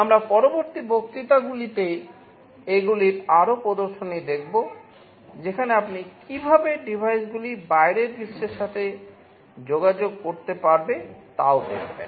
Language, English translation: Bengali, We shall be seeing more demonstrations on these in the later lectures, where you will also be looking at how the devices can communicate with the outside world